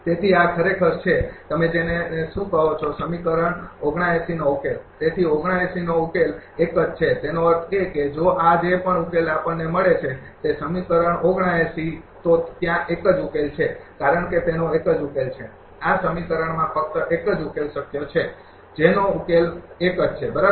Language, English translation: Gujarati, So, this is actually, your what you call that solution of equation 17th therefore, the solution of 79 is unique; that means, if this whatever solution we got that equation 79, there is unique solution because, it has only one solution this equation has the one feasible solution the solution is unique, right